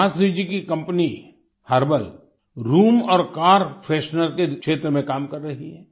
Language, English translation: Hindi, Subhashree ji's company is working in the field of herbal room and car fresheners